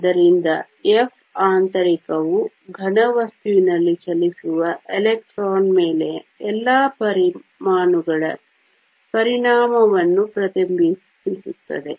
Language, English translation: Kannada, So, F internal reflects the effect of all the atoms on the electron that is moving in a solid